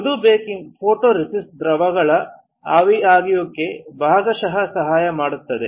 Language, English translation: Kannada, Soft baking helps for partial evaporation of photoresist solvents